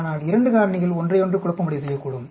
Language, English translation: Tamil, But 2 factors can be confounding with each other